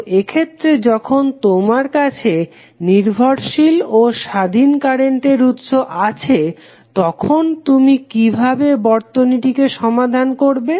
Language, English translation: Bengali, So, in this case when you have dependent and independent current source, how you will solve the circuit